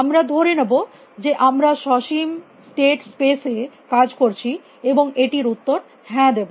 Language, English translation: Bengali, We will assume that we have working with finite state spaces and will answer yes to this